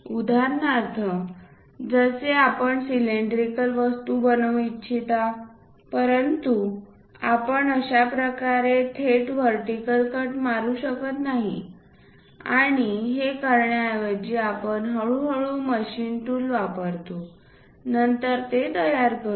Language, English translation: Marathi, For example, like you want to make a cylindrical objects, but we cannot straight away jump into this kind of portion like a perfect vertical cut and jump there instead of that, we gradually use our machine tool and then go ahead construct that